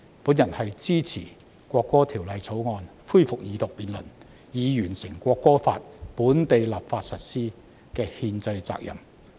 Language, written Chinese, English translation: Cantonese, 我支持《條例草案》恢復二讀，以履行以本地立法形式在香港實施《國歌法》的憲制責任。, to enact amend or repeal laws in accordance with legal procedures . I support the resumption of Second Reading of the Bill to fulfil the constitutional responsibility of implementing the National Anthem Law in Hong Kong by local legislation